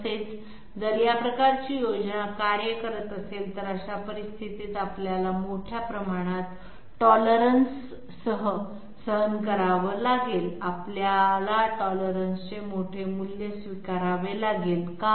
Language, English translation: Marathi, Also, if this sort of a scheme is working, in that case we have to tolerate with a large value of you know formed tolerance, we have to we have to accept a large value of tolerance, why